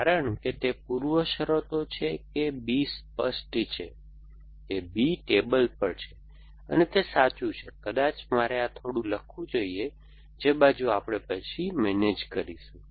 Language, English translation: Gujarati, Because it is preconditions that B is clear, that B is on the table and arm empty is true maybe I should have written this a little bit that side we will manage then